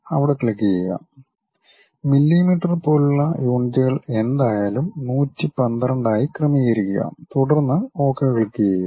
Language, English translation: Malayalam, Click go there, adjust it to 112 whatever the units like millimeters, then click Ok